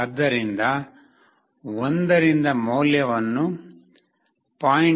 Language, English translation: Kannada, So, the value from 1 has been reduced to 0